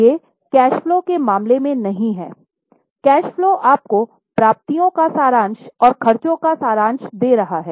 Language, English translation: Hindi, Cash flow is giving you summary of receipts and summary of expenses